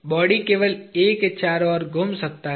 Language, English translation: Hindi, The body can only move by rotating about A